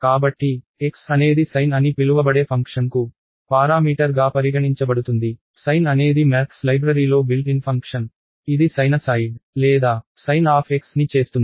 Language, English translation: Telugu, So, x would be treated as a parameter to the function called sine, sine is a built in function in the math library, it will do sinusoid or sine of x